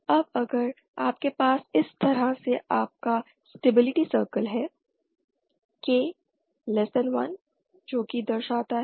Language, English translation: Hindi, Now if you have your stability circle like this